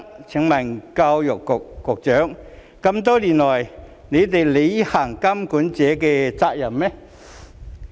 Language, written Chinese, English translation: Cantonese, 請問教育局局長多年來有履行過監管者的責任嗎？, Has the Secretary for Education ever fulfilled his responsibilities as a regulator over the years?